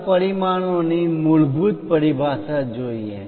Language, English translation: Gujarati, Let us look at basic terminology of dimensions